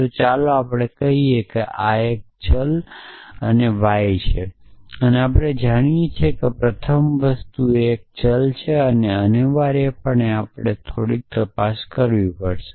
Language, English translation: Gujarati, So, let us say this is a variable and y and theta we know that the first thing is a variable essentially we have to do a few checks